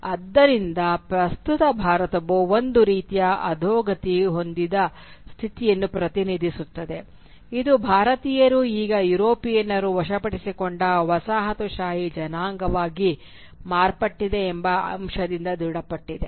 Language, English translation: Kannada, So the present India therefore represented a kind of a degenerate state of being which was confirmed by the fact that Indians had now become a colonised race who were subjugated by the Europeans